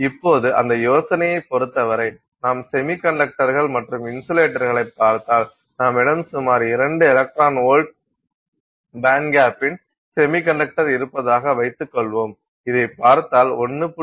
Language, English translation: Tamil, Okay, so now given that idea, now if you look at semiconductors and insulators, let's assume that we have a semiconductor of about two electron volts band gap